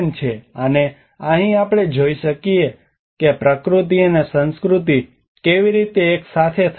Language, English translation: Gujarati, And here we can see that how the nature and culture can come together